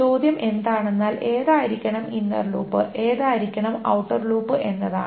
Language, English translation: Malayalam, The question is which one should be the inner loop and which one should be the outer loop